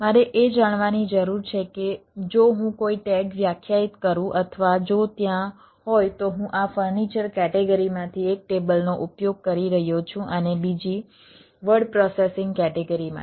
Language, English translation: Gujarati, i need to know that if i define a tag, or if there are, i am using table, one from this furniture category and another for the word processing category then i have to define the things or how